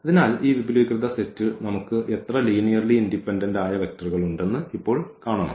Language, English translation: Malayalam, So, we have to see now how many linearly independent vectors we have in this spanning set